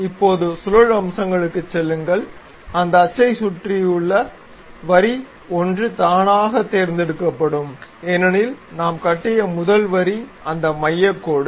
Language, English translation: Tamil, Now, go to features revolve boss base around this axis we would like to have which is automatically selected as line 1, because the first line what we have constructed is that centre line